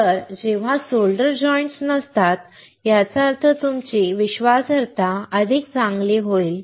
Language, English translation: Marathi, So, when there are no solder joints; that means, that your reliability would be better